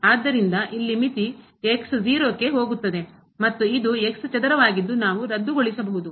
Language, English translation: Kannada, So, here the limit goes to and this is square we can cancel out